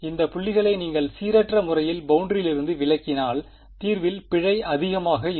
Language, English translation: Tamil, If you pick these points at random like this away from the boundary the error in the solution is high